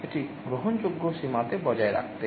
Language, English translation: Bengali, To maintain it within acceptable limits